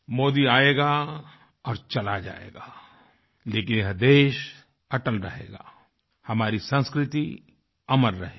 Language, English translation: Hindi, Modi may come and go, but this country will never let go of its UNITY & permanence, our culture will always be immortal